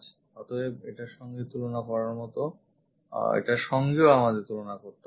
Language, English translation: Bengali, So, compared to this if we are comparing this one